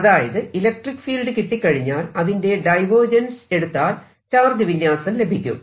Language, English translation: Malayalam, if i know the electric field, then divergence of electric field gives me the charge distribution